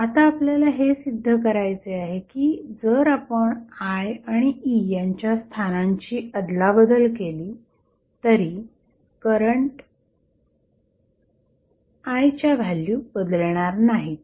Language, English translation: Marathi, Now, we have to prove that if you exchange value of, sorry, the location of I and E the values of current I is not going to change